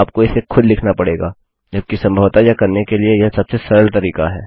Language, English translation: Hindi, You have to write it manually, however and this is probably the easiest way to do it